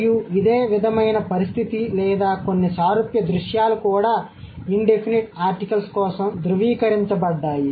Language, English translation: Telugu, And something similar situation or some similar scenario are also attested for indefinite articles